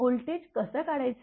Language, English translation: Marathi, How to find out the voltage